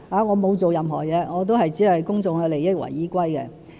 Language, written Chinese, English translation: Cantonese, 我沒有做任何事，只是以公眾的利益為依歸。, I have done nothing . I have only worked in public interest